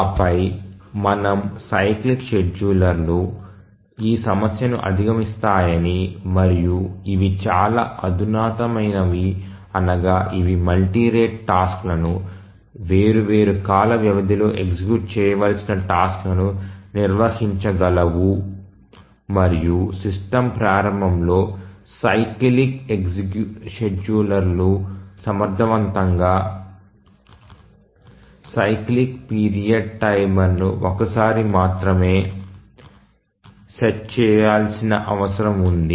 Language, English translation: Telugu, And then we had said that the cyclic schedulers overcome this problem and also these are much more sophisticated in the sense that they can handle multi rate tasks, tasks requiring execution in different time periods and that too efficiently they require a cyclic periodic timer only once during the system initialization